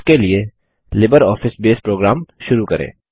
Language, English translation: Hindi, For this, let us invoke the LibreOffice Base program